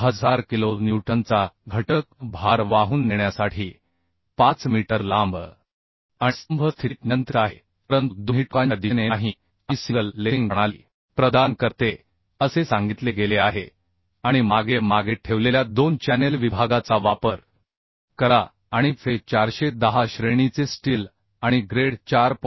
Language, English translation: Marathi, 5 meter long to carry a factor load of 1000 kilonewton and the column is restrained in position but not in direction at both ends And provide single lacing system this has been told And use 2 channel section placed as back to back And assume the steel of grade Fe410 and bolts of grade 4